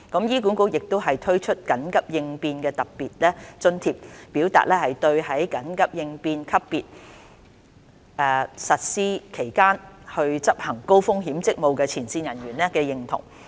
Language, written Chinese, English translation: Cantonese, 醫管局亦已推出緊急應變特別津貼，表達對在緊急應變級別實施期間執行高風險職務的前線人員的認同。, HA has also introduced Special Emergency Response Allowance as a token of recognition for the frontline staff engaging in high risk duties during the Emergency Response Level